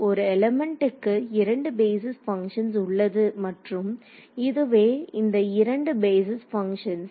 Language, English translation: Tamil, There are two basis functions for an element and these are those two basis functions